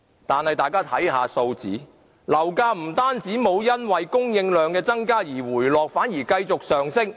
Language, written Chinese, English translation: Cantonese, 但大家看看數字，樓價不單沒有因為供應量增加而回落，反而繼續上升。, Instead of lowing the property prices property prices have actually soared with the increased housing supply